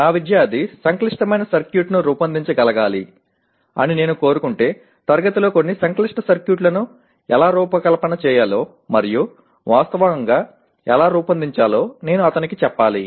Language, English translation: Telugu, If I want my student to be able to design a complex circuit, I must tell him how to design and actually design some complex circuits in the class taking realistic specifications of the same